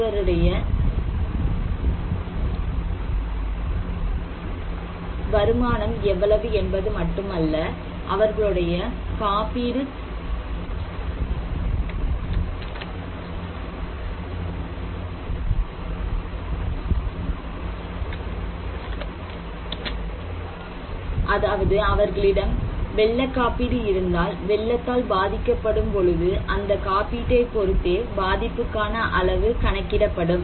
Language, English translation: Tamil, How much the person's income has, not only income, but also if they have insurance like if someone has flood insurance so if they are affected, and how they will be impacted by the flood, it depends on insurance